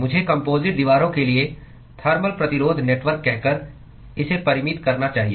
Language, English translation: Hindi, I should qualify it by saying Thermal Resistance Network for composite walls